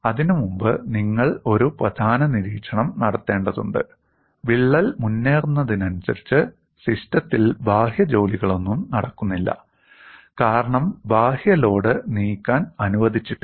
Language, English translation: Malayalam, And before that, you will have to make one important observation: as the crack advances, no external work is done on the system because the external load is not allowed to move